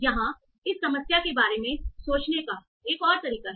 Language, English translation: Hindi, So this is another way of thinking about this problem